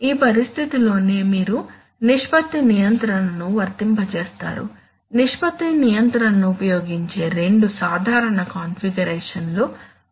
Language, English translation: Telugu, It is in this situation that you apply ratio control, there are two typical configurations in which ratio control is used